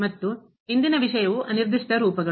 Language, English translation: Kannada, and today’s topic is Indeterminate Forms